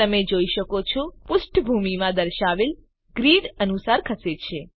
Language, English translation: Gujarati, You can see that the component moves according to the grid displayed in the background